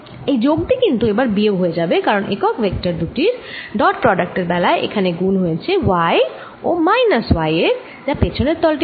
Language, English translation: Bengali, now this plus going to replace by minus, because the unit vector product out here is going to be y times minus y for the back surface